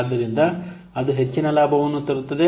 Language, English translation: Kannada, So that will bring more profit